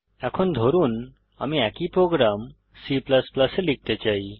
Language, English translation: Bengali, Now suppose, I want to write the same program in C++